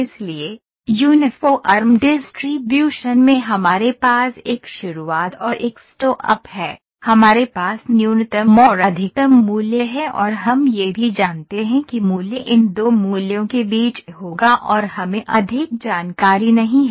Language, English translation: Hindi, So, where we have first this start and stop we have the minimum and the maximum value and we know that the value would lie between these two values we do not have much information